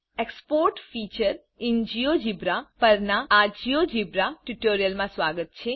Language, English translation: Gujarati, Welcome to this Geogebra tutorial on the Export feature in GeoGebra